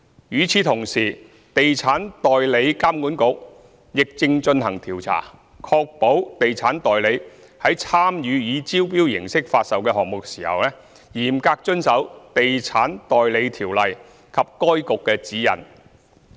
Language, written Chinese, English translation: Cantonese, 與此同時，地產代理監管局亦正進行調查，確保地產代理在參與以招標形式發售的項目時，嚴格遵守《地產代理條例》及該局的指引。, Meanwhile the Estate Agents Authority EAA is conducting an investigation to ensure that estate agents are strictly observing the Estate Agents Ordinance and EAAs guidelines when participating in the sales of residential properties by tender